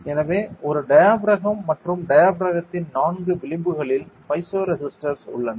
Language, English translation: Tamil, So, a diaphragm and in the four edges of the diaphragm, there are piezo resistors